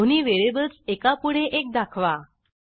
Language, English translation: Marathi, Print those 2 variables one after the other